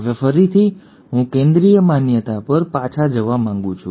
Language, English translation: Gujarati, Now again I want to go back to Central dogma